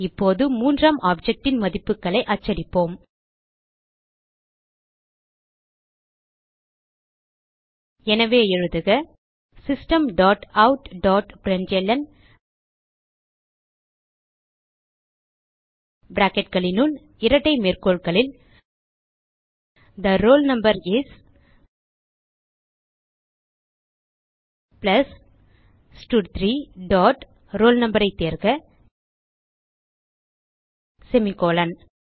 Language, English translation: Tamil, We will now, print the values of the third object So type System dot out dot println within brackets and double quotes The roll no is, plus stud3 dot select roll no semicolon